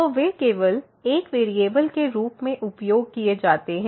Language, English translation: Hindi, So, they are used to be only one variable